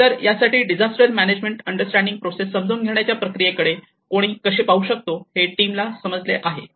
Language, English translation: Marathi, So, for this, the team has understood that how one can look at the process of understanding the disaster management